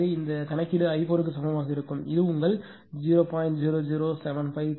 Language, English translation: Tamil, So, i 4 is equal to 0